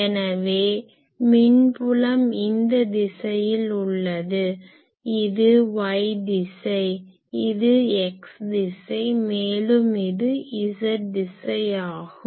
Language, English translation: Tamil, So, electric field is in this direction; let us say that this is our y direction this is our x direction and this is our z direction that one